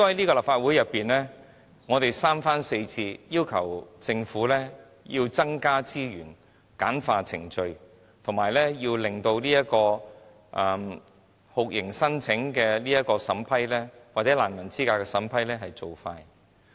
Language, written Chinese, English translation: Cantonese, 在立法會內，我們三番四次要求政府增加資源、簡化程序，以及加快酷刑聲請或難民資格的審批速度。, In the Legislative Council we repeatedly asked the Government to increase resources streamline the procedures and speed up processing of torture claims or verifying of refugee status